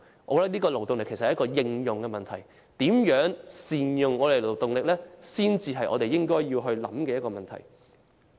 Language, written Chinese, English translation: Cantonese, 我認為勞動力其實是應用問題，如何善用勞動力才是應該思考的問題。, In my opinion the labour force actually concerns application . How best efforts should be made to capitalize on the labour force is the question that warrants consideration